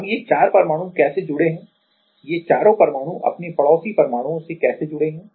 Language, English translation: Hindi, Now, how these 4 atoms are connected to the how these four atoms are connected to its neighboring atoms